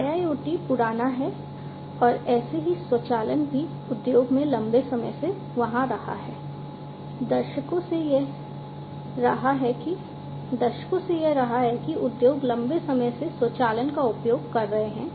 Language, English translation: Hindi, So, IIoT is primitive is that automation that has been there since long in the industry, since decades, it has been there industries have been using automation, since long